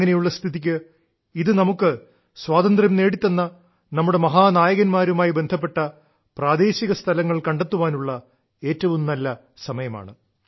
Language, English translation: Malayalam, In this context, this is an excellent time to explore places associated with those heroes on account of whom we attained Freedom